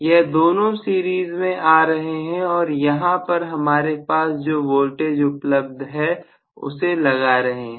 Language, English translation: Hindi, These two are coming in series and I am applying whatever is my voltage here